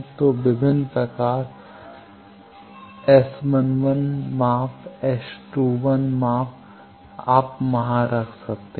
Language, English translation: Hindi, So, various measurement S 11 measurements, S 21 measurement at that you can put there